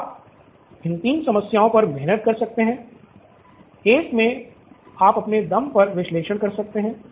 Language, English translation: Hindi, So you can take a stab at these 3 problems, in one you can analyse on your own